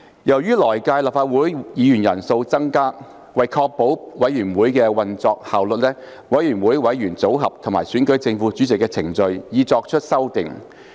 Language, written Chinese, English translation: Cantonese, 由於來屆立法會議員人數會增加，為確保委員會的運作效率，委員會的委員組合及選舉正副主席的程序已作出修訂。, Given the increase in the number of Members in the next Legislative Council in order to ensure the operation effectiveness of committees the membership of committees and the procedures for electing the chairman and deputy chairman of committees have been amended